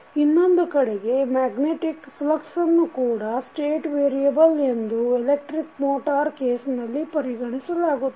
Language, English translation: Kannada, While, on the other hand if magnetic flux is also considered as a state variable in case of this electric motor